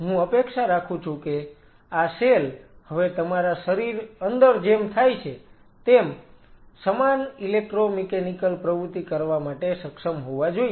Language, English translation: Gujarati, So, these cells I expect now they should be able to do that electro mechanical activity, similar to that of in your body